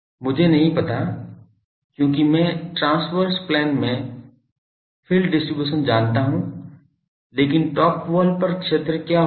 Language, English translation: Hindi, I do not know because I know the field distribution in the transverse plane, but there on the top wall what will be the field